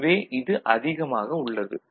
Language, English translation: Tamil, So, this is much more right